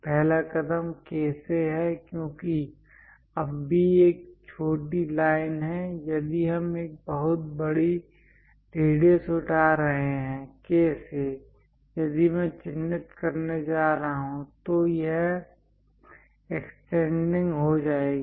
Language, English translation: Hindi, The first step is from K because now B is a shorter line if we are picking very large radius; from K, if I am going to mark, it will be extending